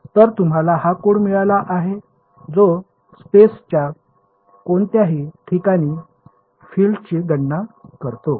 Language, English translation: Marathi, So, you have got this code you have written which calculates the field at any point in space